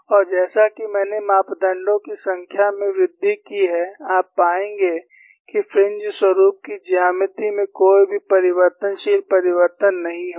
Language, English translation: Hindi, And as I increase the number of parameters, you will find there would not be any perceptible change in the geometry of fringe patterns